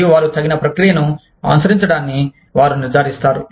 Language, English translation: Telugu, And, they will ensure that, due process is followed